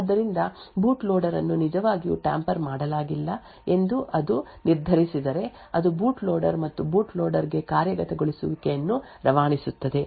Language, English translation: Kannada, So, if it determines that the boot loader has is indeed not tampered then it would pass on execution to the boot loader and the boot loader with then execute